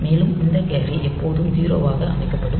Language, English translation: Tamil, First, this A has to be set to 0